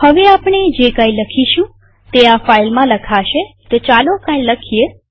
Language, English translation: Gujarati, Whatever we type would be written into the file so type some text